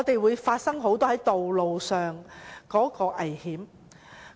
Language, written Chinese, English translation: Cantonese, 會否發生很多道路上的意外？, Will many accidents happen on roads?